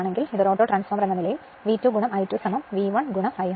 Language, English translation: Malayalam, This is V A auto right because it is V 1 I 1 is equal to V 2 I two